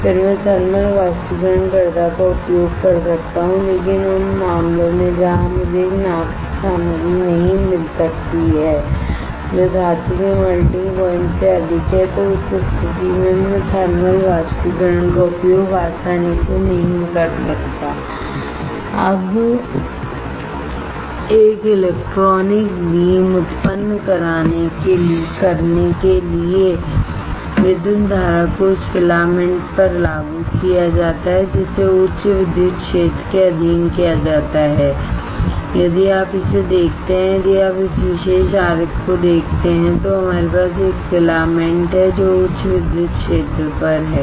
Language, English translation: Hindi, Then I can use thermal evaporator, but in the cases where I cannot find a material of a boat which is greater than the material melting point of the metal, then in that case I cannot use thermal evaporator alright easy now to generate an electron beam an electrical current is applied to the filament which is subjected to high electric field if you see this one, if you see this particular diagram we have a filament right which is at high electric field